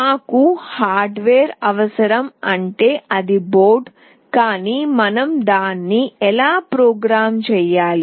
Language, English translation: Telugu, We need a hardware that is the board, but how do we program it